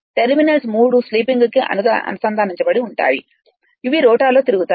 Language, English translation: Telugu, The terminals are connected to 3 sleeping which turn with the rotor